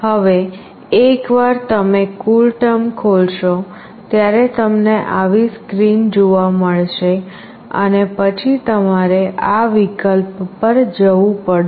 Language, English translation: Gujarati, Now once you open the CoolTerm you will get a screen like this and then you have to go to this option